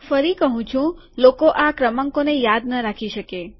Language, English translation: Gujarati, Once again people are not going to remember these numbers